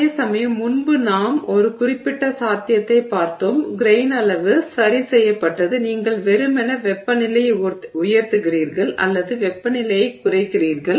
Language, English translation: Tamil, Whereas previously we just looked at one particular possibility but grain size is fixed you are simply raising the temperature or lowering the temperature